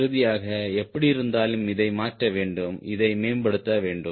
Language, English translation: Tamil, finally, anyway, we have to modify this, improve this right now